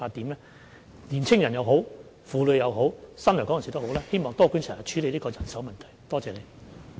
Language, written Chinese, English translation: Cantonese, 無論是在青年人、婦女或新來港人士方面，希望多管齊下，處理人手問題。, We hope to deal with the manpower problem with a multi - pronged approach by attracting youngsters women and new arrivals to join the sector